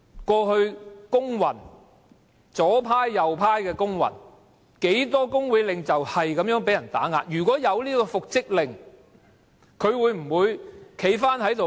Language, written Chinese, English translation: Cantonese, 過去不論左派或右派的工運，有多少工會領袖遭受打壓，如果有復職令，他會否堅決回去復職？, In the past during labour movements of the leftist or the rightist how many trade union leaders were suppressed? . If reinstatement order was made at that time would trade union leaders insist ongoing back to their original posts?